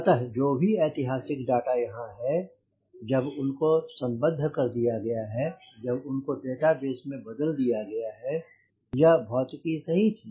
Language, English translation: Hindi, so whatever historical data is there, when they have been correlated, when they have been converted into database, this physics was always there right